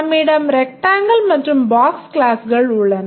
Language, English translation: Tamil, We have the classes, rectangle and box